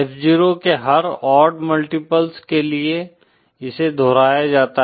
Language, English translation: Hindi, For every odd multiples of F0, it is repeated